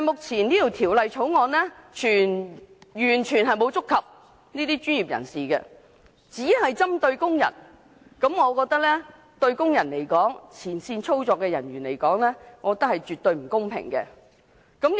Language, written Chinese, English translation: Cantonese, 然而，《條例草案》目前完全沒有觸及這些專業人士，只針對工人，我覺得對工人、前線操作人員絕不公平。, Instead of dealing with these professionals the Bill only targets workers . I think this is utterly unfair to workers and other frontline operators